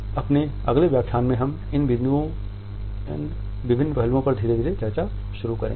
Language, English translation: Hindi, In our next lecture we would begin our discussion of these different aspects gradually